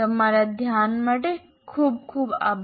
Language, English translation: Gujarati, Thank you very much for your attention